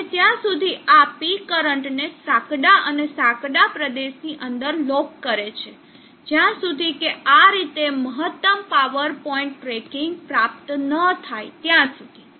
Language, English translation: Gujarati, And thereby locks this P current within the narrow and narrow region till it reaches the top in this way maximum power point tracking is achieved